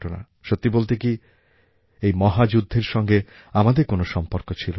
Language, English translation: Bengali, Rightly speaking we had no direct connection with that war